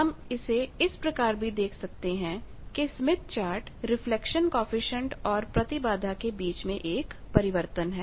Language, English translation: Hindi, So we can call that smith chart is also a transformation between impedance and reflection coefficient